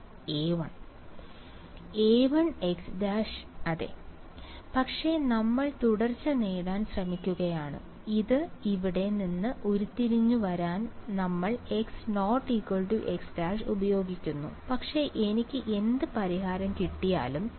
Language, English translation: Malayalam, A 1 x prime yeah, but we are trying to get a continuity, we use x not equal to x prime to derive these over here, but whatever solution I get